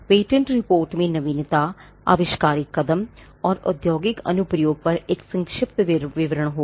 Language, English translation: Hindi, The patentability report will have a brief description on novelty inventor step and industrial application